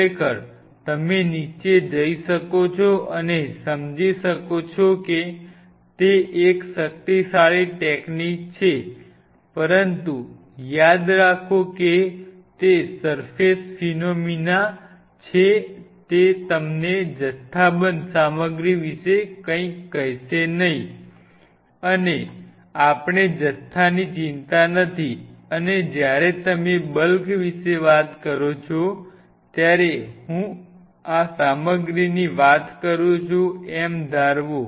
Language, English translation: Gujarati, Of course, you can even go down and figure that out it is that powerful a technique, but remember, remember it is a surface phenomenon it is not going to tell you anything about the bulk material and we are not concerned about the bulk and when you talk about the bulk, I talk about suppose this is the material